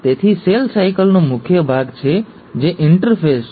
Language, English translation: Gujarati, So the cell cycle has the major part which is the interphase